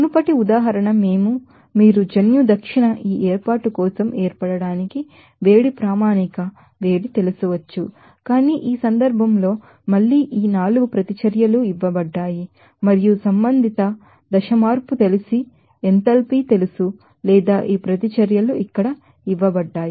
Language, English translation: Telugu, the previous example, we can do we can calculate that you know heat standard heat of formation for this formation of gene south, but there in this case again these 4 reactions are given and respective you know enthalpy you know phase change or this reactions are given here